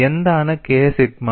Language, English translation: Malayalam, And what is K sigma